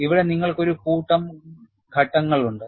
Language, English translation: Malayalam, Here, you have a sequence of steps